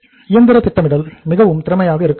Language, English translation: Tamil, Machine scheduling should be very efficient